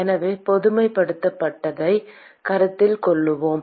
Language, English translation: Tamil, So, let us consider a generalized